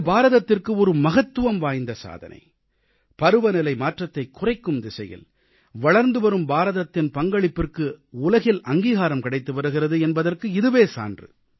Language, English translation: Tamil, This is a very important achievement for India and it is also an acknowledgement as well as recognition of India's growing leadership in the direction of tackling climate change